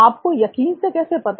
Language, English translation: Hindi, How do you know for sure